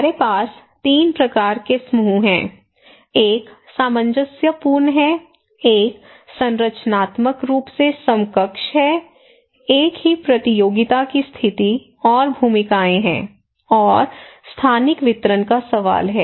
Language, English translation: Hindi, So, now we have 3 kinds of groups; one is cohesive, one is structurally equivalents, there is same competition position and roles and the question of spatially distribution